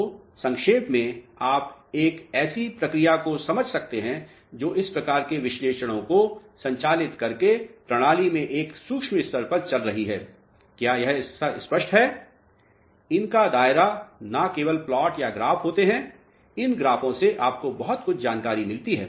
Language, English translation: Hindi, So, in short you can understand a process which is going on at a micro level in the system by conducting these type of analysis, is this part clear, there is scope of these are not only the plots or the graphs these graphs give you lot of information